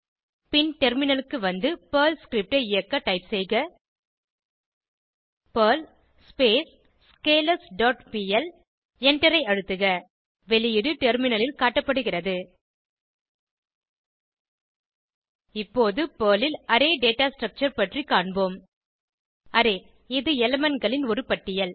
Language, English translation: Tamil, Then switch to the terminal and execute the Perl script as perl scalars dot pl and press Enter The output shown on terminal is as highlighted Now, let us look at array data structure in PERL